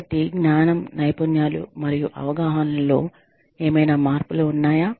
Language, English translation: Telugu, So, are there any changes, in knowledge, skills, and perceptions